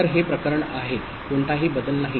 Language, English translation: Marathi, So, this is the case no change